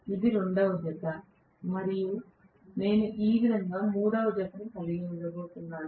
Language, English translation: Telugu, This is the second pair and I am going to have the third pair like this right